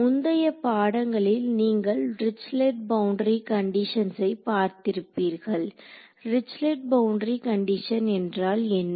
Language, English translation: Tamil, Now you have seen so, far in previous courses you have seen Dirichlet boundary conditions what would Dirichlet boundary condition say